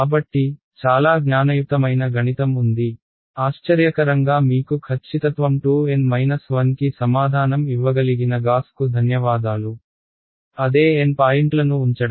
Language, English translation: Telugu, So, some there is some very very clever math, not surprisingly thanks to Gauss who is able to give you the answer to accuracy 2 N minus 1; keeping the same N points right